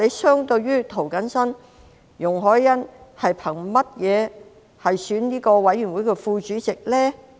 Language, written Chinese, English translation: Cantonese, 相對於涂謹申，容海恩憑甚麼參選委員會的副主席呢？, Compared with James TO what merits does YUNG Hoi - yan have to run for the Deputy Chairman of the Panel?